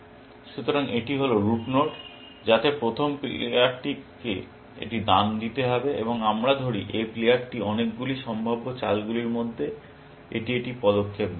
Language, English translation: Bengali, So, this is the route node, which the first player has to make a move, and let us say, this is one move that this player makes, out of the many possible moves